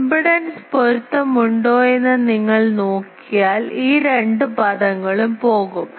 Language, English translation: Malayalam, And you see if there are impedance match then this two terms will go